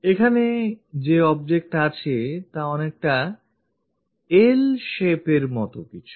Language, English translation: Bengali, Here the object is something like in L shape